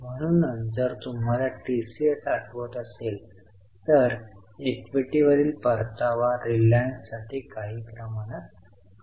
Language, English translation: Marathi, So, if you remember TCS, this return on equity is somewhat lower for reliance